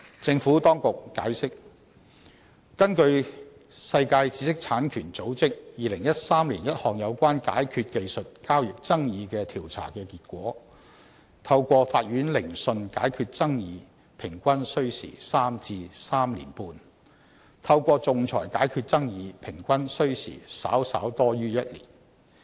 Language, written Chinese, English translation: Cantonese, 政府當局解釋，根據世界知識產權組織2013年一項有關解決技術交易爭議的調查結果，透過法院聆訊解決爭議平均需時3至3年半，透過仲裁解決爭議平均需時稍稍多於1年。, The Administration has explained that according to the results of a survey conducted by the World Intellectual Property Organization in 2013 with regard to resolving disputes on technology transactions the average time spent in resolving the disputes by court proceedings was 3 to 3.5 years while that for resolving disputes by arbitration was on average about slightly more than one year